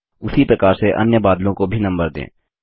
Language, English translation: Hindi, Similarly number the other clouds too